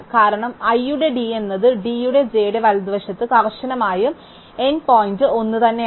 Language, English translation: Malayalam, Because d of i is strictly to the right of d of j and the end point is the same